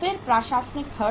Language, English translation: Hindi, Then administrative expenses